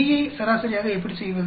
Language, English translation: Tamil, How do you do B averaging out